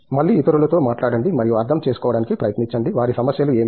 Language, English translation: Telugu, Again, talk to others students and try to understand, what their problems are